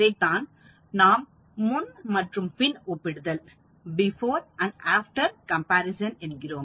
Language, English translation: Tamil, So, that is called the before and after comparison